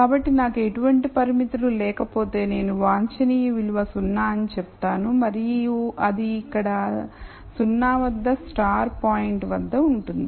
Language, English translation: Telugu, So, if I had no constraints I would say the optimum value is 0 and it is at 0 0 the star point here